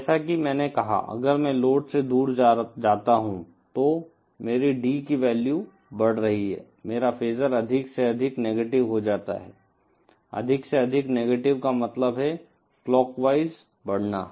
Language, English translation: Hindi, As I said, if I move away from the load, then my D value is increasing, my phasor becomes more and more negative, more and more negative means clockwise traversing